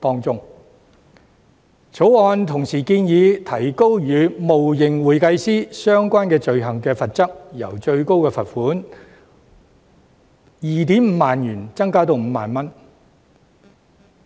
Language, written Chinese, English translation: Cantonese, 《條例草案》同時建議提高與冒認會計師相關的罪行的罰則，由最高罰款 25,000 元提高至 50,000 元。, The Bill also proposes to increase the penalty level of offences relating to making false claim of being an accountant from a maximum fine at 25,000 to 50,000